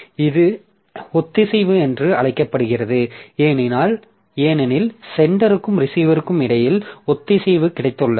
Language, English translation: Tamil, So, this is called synchronous because we have got synchronism between the sender and receiver of messages